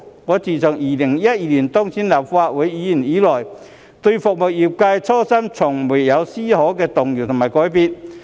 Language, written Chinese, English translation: Cantonese, 我自2012年當選立法會議員以來，對服務業界的初心從未有絲毫動搖和改變。, Since my successful election as a Legislative Council Member back in 2012 my original intention of serving the industry has never been shaken or changed even just the slightest bit